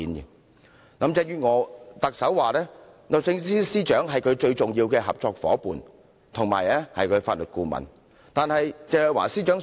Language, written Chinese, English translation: Cantonese, 特首林鄭月娥指律政司司長是她最重要的合作夥伴，也是她的法律顧問。, Chief Executive Carrie LAM claimed that the Secretary for Justice is her most important partner as well as her legal advisor